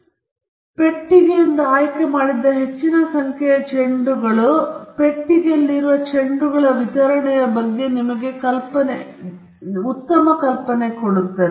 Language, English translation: Kannada, The more number of balls you pick from the box, better idea you will have about the distribution of the balls in the box